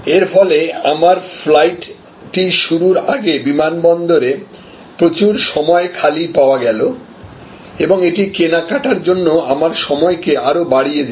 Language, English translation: Bengali, So, as a result a lot of time was available free at the airport before my flight was to take off and that increased my time available for shopping